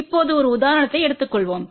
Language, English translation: Tamil, Now, let just take an example